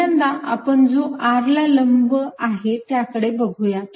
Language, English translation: Marathi, let's look at perpendicular to r first